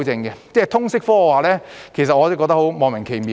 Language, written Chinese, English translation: Cantonese, 對於通識科，我覺得十分莫名其妙。, As regards the subject of liberal studies I find it very perplexing